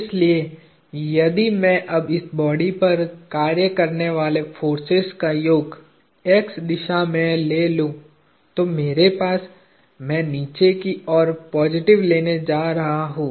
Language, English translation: Hindi, So, if I now take the summation of all the forces acting on this body in the x direction, I have, I am going to take downward positive